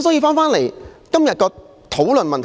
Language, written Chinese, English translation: Cantonese, 返回今天的討論議題。, I will return to the subject of our discussion today